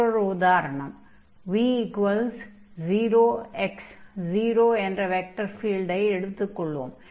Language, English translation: Tamil, So, for instance, if we take the vector field here, v is equal to x and 0, 0